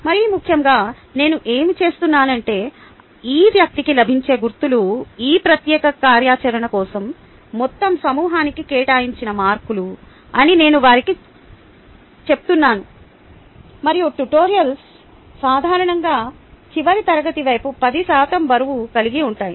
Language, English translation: Telugu, and, more importantly, what i do is i tell them that the marks that this person gets would be the marks that is assigned to the entire group for this particular activity, and tutorials typically carry about ten percent wait towards the final rate